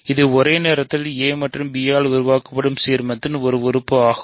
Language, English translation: Tamil, It is also simultaneously an element of the ideal generated by a and b